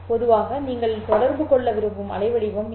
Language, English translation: Tamil, This is the waveform that you want to communicate